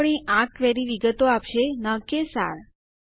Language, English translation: Gujarati, And our query will return details and not summaries